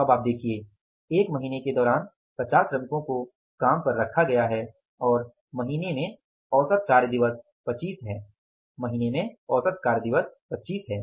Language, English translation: Hindi, During the one month 50 workers were employed and average working days in the month are 25